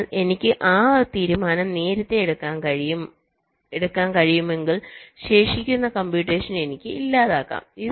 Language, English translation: Malayalam, so if i can take that decision early enough, then i can disable the remaining computation